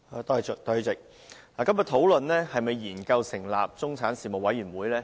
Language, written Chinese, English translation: Cantonese, 代理主席，今天討論是否研究成立中產事務委員會。, Deputy President todays discussion is about whether or not to establish a middle class commission